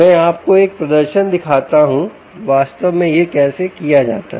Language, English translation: Hindi, i will show you an demonstration of how it is actually done